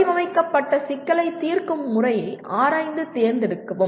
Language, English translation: Tamil, Explore and select a method of solving a formulated problem